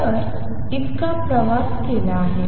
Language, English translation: Marathi, So, it has traveled that much